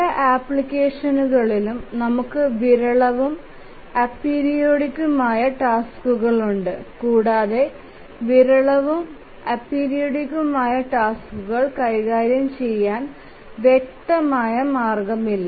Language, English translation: Malayalam, Also, in many applications we have sporadic and ap periodic tasks and there is no clear way in which we can handle the sporadic and apiridic tasks